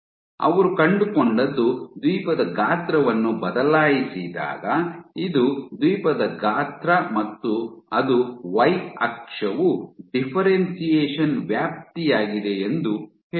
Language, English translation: Kannada, So, what they found was when they varied Island size, this is island size and let us say it is the y axis is the extent of differentiation